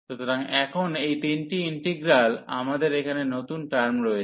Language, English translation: Bengali, So, these three integrals now, we have new terms here